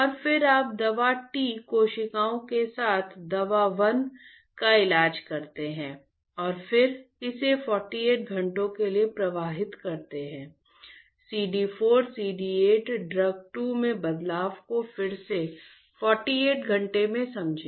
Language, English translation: Hindi, And, then you treat the drug T cells with T cells with drug 1 and again flow it for 48 hours; understand the change in the CD 4 CD 8 drug 2, again 48 hours